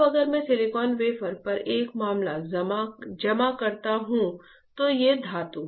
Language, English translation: Hindi, Now, if I deposit a matter on silicon wafer, these are metal